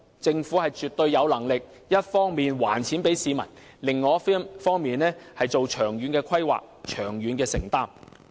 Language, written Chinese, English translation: Cantonese, 政府絕對有能力一方面還錢給市民，另一方面作出長遠的規劃和承擔。, The Government is definitely capable of returning wealth to the public on the one hand and making long - term planning and commitments on the other